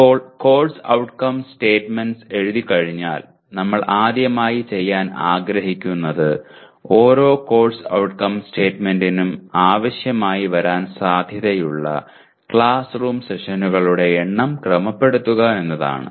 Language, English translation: Malayalam, Now having written the course outcome statements, now what we would like to do is, first thing is with each course outcome statement we would like to associate the number of classroom sessions that are likely to be required